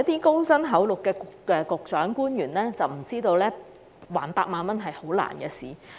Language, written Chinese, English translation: Cantonese, 高薪厚祿的局長、官員可能有所不知，償還8萬元是很難的事。, The Secretary and government officials receiving decent salaries may not know that it is very difficult to repay 80,000